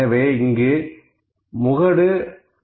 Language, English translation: Tamil, So, it is 15